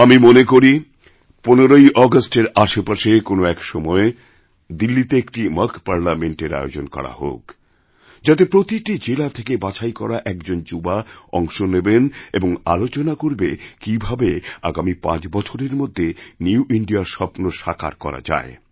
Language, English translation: Bengali, I propose that a mock Parliament be organized around the 15th August in Delhi comprising one young representatives selected from every district of India who would participate and deliberate on how a new India could be formed in the next five years